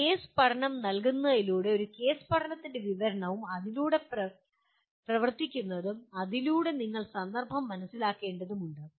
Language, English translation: Malayalam, By providing a case study, a description of a case study and running through that and through that you have to understand the context